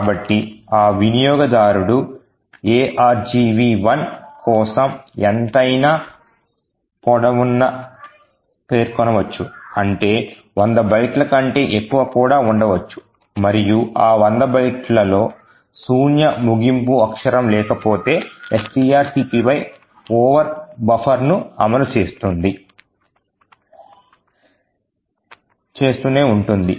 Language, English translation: Telugu, So, this user could specify any length for argv 1 which could be much larger than 100 bytes and if there is no null termination character within the 100 bytes string copy will continue to execute an overflow buffer